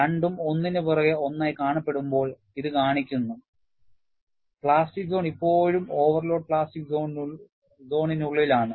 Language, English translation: Malayalam, And this shows, when both are superimposed one over the other, the plastic zone is still within the overload plastic zone